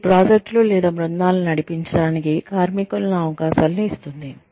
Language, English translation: Telugu, It also gives the worker, opportunities to lead, projects or teams